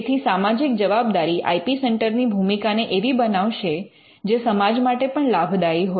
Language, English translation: Gujarati, So, the social responsibility will actually make the IP centres role as something that will also benefit the society